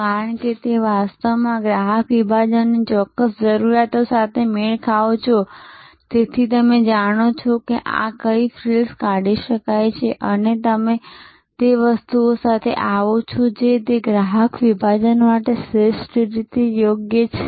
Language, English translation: Gujarati, Because, you are actually matching the exact requirement of the customer segment and therefore, you know what frills can be deleted and you come up with the product which is optimally suitable for that customer segment